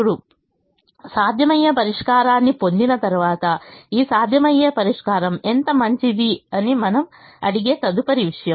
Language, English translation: Telugu, now, having obtained a feasible solution, the next thing that we ask is: how good is this feasible solution